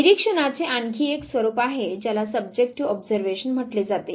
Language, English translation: Marathi, There is another format of observation what is called as Subjective Observation